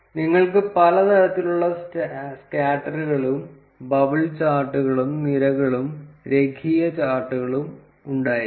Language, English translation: Malayalam, You can have several kinds of scatters and bubble charts, column charts and linear charts